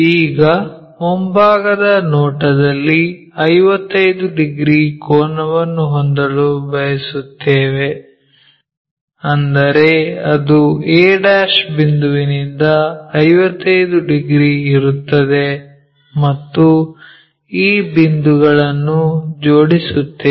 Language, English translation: Kannada, Now, 55 degrees angle in the front view we would like to have, that is from point a ' 55 here, connect these points 55 degrees thing from a